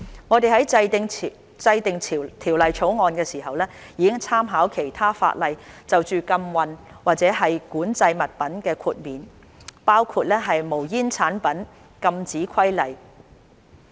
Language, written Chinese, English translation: Cantonese, 我們在制定《條例草案》時，已參考其他法例就禁運或管制物品的豁免，包括《無煙煙草產品規例》。, In enacting the Bill we have made reference to the exemptions for prohibited or controlled items in other legislation including the Smokeless Tobacco Products Prohibition Regulations